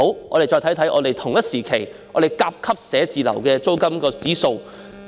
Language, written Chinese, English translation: Cantonese, 我們且看看甲級寫字樓的同期租金指數。, Let us look at the rental indices for Grade A offices of the same period